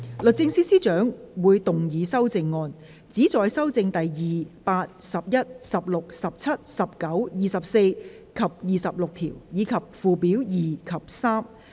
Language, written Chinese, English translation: Cantonese, 律政司司長會動議修正案，旨在修正第2、8、11、16、17、19、24及26條，以及附表2及3。, The Secretary for Justice will move amendments which seek to amend clauses 2 8 11 16 17 19 24 and 26 and Schedules 2 and 3